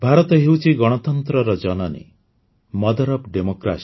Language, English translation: Odia, Friends, India is the mother of democracy